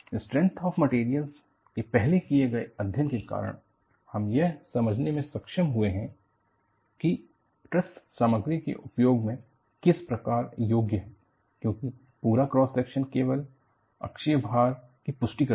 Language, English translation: Hindi, Because of a first study in strength of materials, you have been able to understand, how a truss is efficient in material usage; because the entire cross section participates, it is supporting only axial load